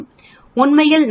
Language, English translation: Tamil, Actually we do not do it as 95